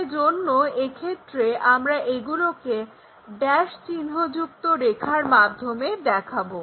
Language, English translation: Bengali, So, in that case we will show it by dashed lines